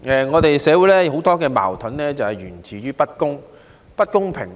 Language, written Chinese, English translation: Cantonese, 我們的社會有很多矛盾就是源自不公平。, Injustice is the root cause of many conflicts in our society